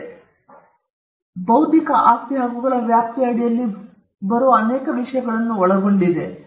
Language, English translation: Kannada, It includes many things under the ambit of intellectual property rights